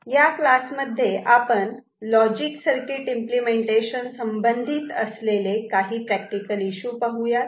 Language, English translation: Marathi, In this particular class, we shall look at some of the practical issues associated with logic circuit implementation